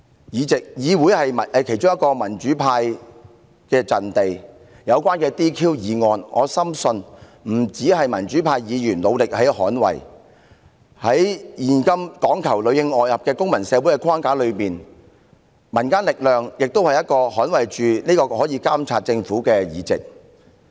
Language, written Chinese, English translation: Cantonese, 議會是民主派的其中一個陣地，就這項議案有關解除議員職務的要求，我深信不僅民主派議員會努力捍衞有關議員的議席，在現今講求裏應外合的公民社會，民間力量也可以幫忙捍衞我們監察政府的議席。, The Legislative Council is one of the battlefronts for the pro - democracy camp . Regarding the request in this motion about relieving a Legislative Council Member of her duties I firmly believe that the pro - democracy Members will make every effort to safeguard the seat for the Member concerned . In a civil society emphasizing on collaboration between those inside the establishment and those outside nowadays civilians can also play a role in supporting us to monitor the Government and safeguard the seats in the Council